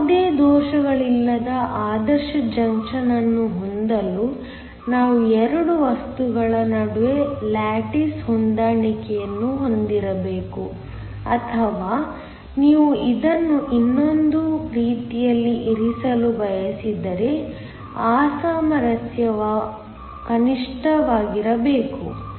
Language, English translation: Kannada, In order to have an ideal junction with no defects, we must have lattice matching between the 2 materials or if you want to put it in another way, the mismatch must be minimal